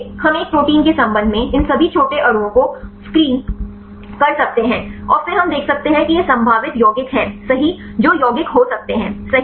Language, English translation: Hindi, So, we can screen all these small molecules with respect to a protein, and then we can see these are the probable compounds right which could be a lead compounds right